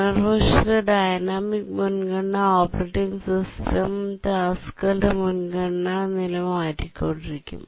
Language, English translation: Malayalam, On the other hand in a dynamic priority, the operating system keeps on changing the priority level of tasks